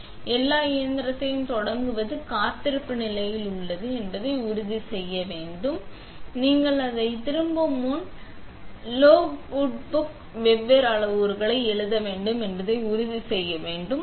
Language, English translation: Tamil, So, want to make sure everything is in the standby position that you started the machine with and then before you turn it off, you want to make sure you were write in the logbook the different parameters